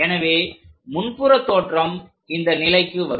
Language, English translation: Tamil, So, the front view comes at this level